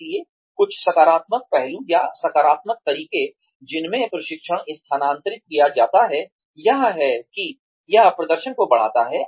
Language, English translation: Hindi, So, some positive aspects, or positive ways, in which, training is transferred is, that it enhances performance